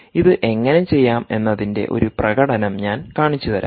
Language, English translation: Malayalam, i will show you an demonstration of how it is actually done